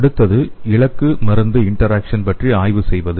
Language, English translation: Tamil, So the next one is studying the target drug interaction